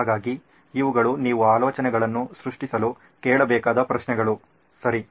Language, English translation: Kannada, So these are questions you should be asking to generate ideas, okay